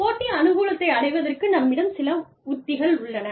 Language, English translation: Tamil, Competitive strategies, that can be used to gain, competitive advantage